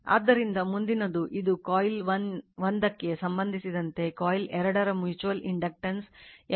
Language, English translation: Kannada, So, next is your suppose this is the your what you call this is your two coils in the your what you call mutual inductance M 2 1 of coil 2 with respect to coil 1